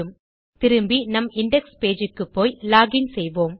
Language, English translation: Tamil, Lets go back to our index page and lets log in again, as we did before